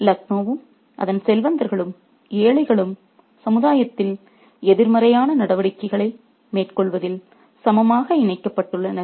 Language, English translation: Tamil, So, Lucknow and its wealthy and the poor are equally implicated in this pursuit of negative activities in society